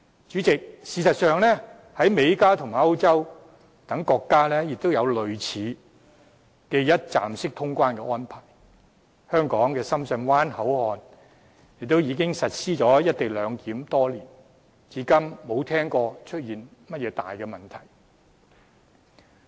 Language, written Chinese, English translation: Cantonese, 主席，事實上，在美國、加拿大和歐洲等國家亦有類似的一站式通關安排，香港深圳灣口岸亦已實施"一地兩檢"多年，至今沒聽到出現甚麼大問題。, As a matter of fact President similar one - stop clearance arrangements are enforced in countries like the United States Canada and in Europe . And the Shenzhen Bay Port has implemented a co - location arrangement for years with no major issues heard to this day